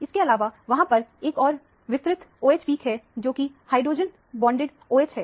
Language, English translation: Hindi, In addition to that, there is also a broad OH peak, which is a hydrogen bonded OH